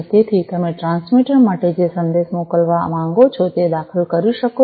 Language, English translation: Gujarati, So, you can enter the message that you want to send from the transmitter